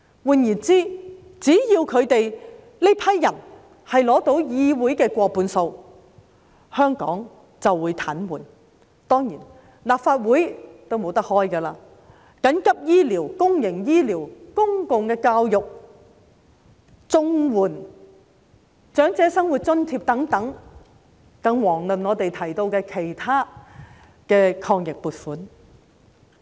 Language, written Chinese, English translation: Cantonese, 換言之，只要他們取得議會過半數議席，香港就會癱瘓，立法會亦不能開會，處理緊急醫療、公營醫療、公共教育、綜援、長者生活津貼等問題，更遑論我們提到的其他抗疫撥款。, In other words only if they can take over half of the Council seats Hong Kong will be paralysed and the Legislative Council will be unable to convene any meeting to deal with urgent issues in relation to health care services public health care public education CSSA or Old Age Living Allowance not to mention the funding applications for the Anti - epidemic Fund